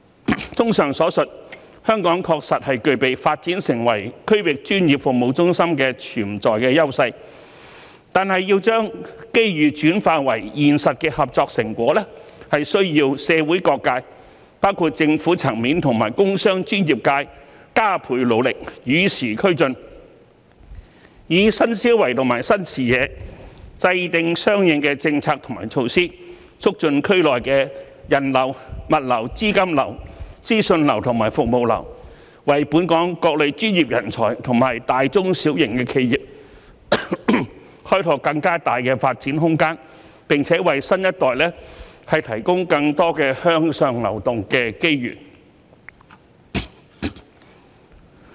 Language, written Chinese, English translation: Cantonese, 綜合以上所述，香港確實具備發展成為區域專業服務中心的潛在優勢，但要將機遇轉化為現實的合作成果，是需要社會各界，包括政府層面和工商專業界加倍努力，與時俱進，以新思維和新視野制訂相應的政策及措施，促進區內的人流、物流、資金流、資訊流和服務流，為本港各類專業人才和大、中、小型企業開拓更大的發展空間，並為新一代提供更多向上流動的機遇。, In summary of the above Hong Kong does possess the inherent advantages in developing into a regional professional services hub . However in order to transform opportunities into actual cooperation fruits different sectors of society including the Government industries businesses and professional sectors have to make extra effort and keep abreast of the times . They must formulate related policies and measures with new thinking and vision so as to boost the flows of people goods capital information and services in the region and provide more development opportunities for different professional personnel and large medium and small enterprises in Hong Kong as well as providing the new generation with greater opportunities for upward mobility